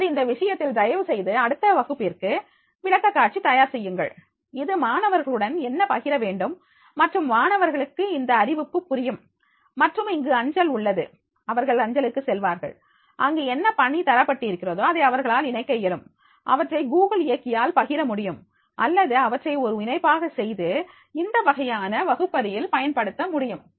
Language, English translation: Tamil, Now, in this case kindly prepare presentation for the next class, this will be the, what has been shared with the students and the students with this announcement, they will understand and then here is the post, when they will go for the post, then whatever the assignment is there, they will be able to attach, if you see that is the, in they are the it can be share on the Google drive or it can be making the attachment and this type of the classrooms that can be used